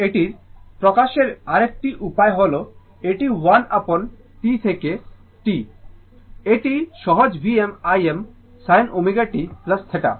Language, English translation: Bengali, Now, another way of expression of this one is that this is 1 upon T 0 to t, this is easier one V m I m sin omega t plus theta into sin omega t